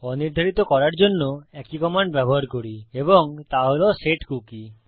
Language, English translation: Bengali, So to unset we use the same command and thats setcookie